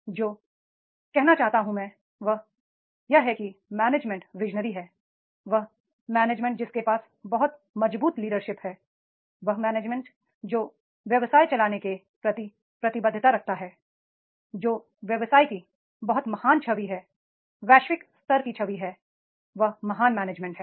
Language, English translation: Hindi, What I want to say is that management who is visionary, that management who is having the very strong leadership styles, that management who is having the commitment towards the running the business, who is having a very great picture, global level picture of the business and that is the great management is there